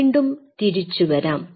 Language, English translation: Malayalam, So, coming back